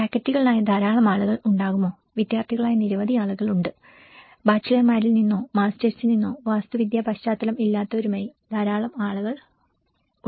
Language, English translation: Malayalam, Whether there will be many people who are faculty, there are many people who are students, there are many people from bachelors, masters or from non architectural backgrounds as well